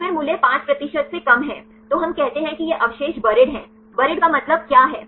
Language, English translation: Hindi, So, then the value is less than 5 percent, then we call these residues are buried; what is the meaning of buried